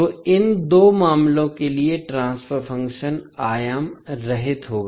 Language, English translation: Hindi, So, for these two cases the transfer function will be dimensionless